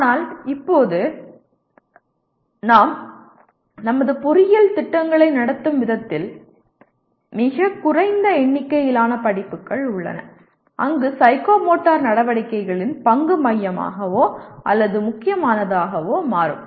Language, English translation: Tamil, But right now, the way we are conducting our engineering programs there are very small number of courses where the role of psychomotor activities is becomes either central or important